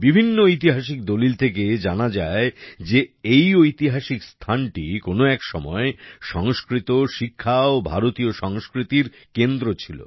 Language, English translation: Bengali, Various historical documents suggest that this region was once a centre of Sanskrit, education and Indian culture